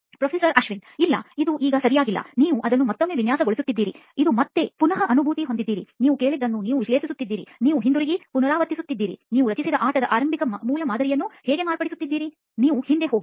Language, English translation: Kannada, No, not yet right, you design it one more time right, this is again you have re empathise, you analyse what you have heard, you go back, you iterate, you modify that initial prototype of the game you created, you go back